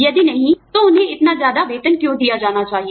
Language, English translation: Hindi, If not, then, why should they be paid, these heavy salaries